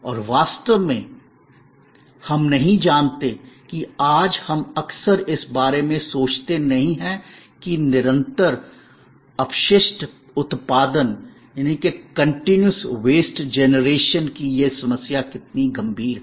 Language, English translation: Hindi, And really, we do not know today we often do not thing about how critical this problem of continuous waste generation is becoming